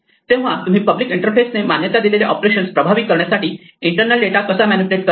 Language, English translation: Marathi, So, how you manipulate the internal data in order to effect the operations that the public interface allows